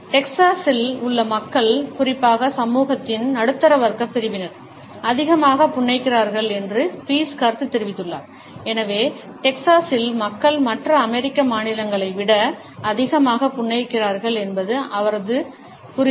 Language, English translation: Tamil, Pease has commented that people in Texas particularly either middle class sections of the society pass on too much a smiles and therefore, his understanding is that in Texas people smile more than people of other American states